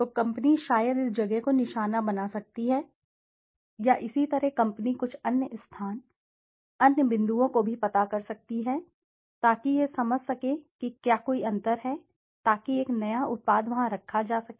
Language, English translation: Hindi, So the company can maybe target this place, or similarly the company can also find out some other space, other points in the space, so that it can understand whether there is any gap so that a new product could be placed out there